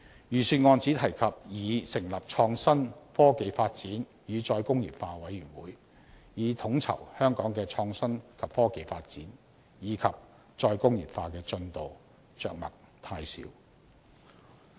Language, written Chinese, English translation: Cantonese, 預算案只提及擬成立創新、科技發展與再工業化委員會，以統籌香港的創新及科技發展，以及再工業化的進度，着墨太少。, It is only proposed in the Budget that a new committee on IT development and re - industrialization would be set up to coordinate the IT development and re - industrialization of Hong Kong . The treatment is indeed too little